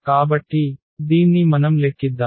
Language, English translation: Telugu, So, like let us compute this